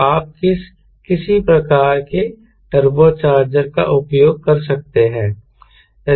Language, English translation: Hindi, so you can use some sort of a turbo charger